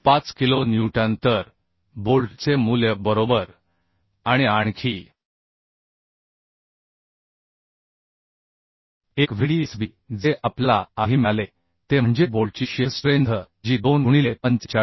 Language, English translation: Marathi, 5 kilonewton So the bolt value right another Vdsb we got earlier that is the shearing strength of the bolt that is 2 into 45